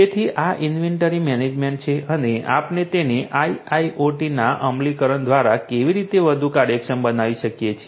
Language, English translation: Gujarati, So, this is this inventory management and how we can make it much more efficient through the implementation of IIoT